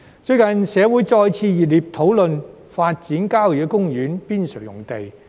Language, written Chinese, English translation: Cantonese, 最近，社會再次熱烈討論發展郊野公園邊陲用地。, Recently there have been heated discussions on developing sites on the periphery of country parks again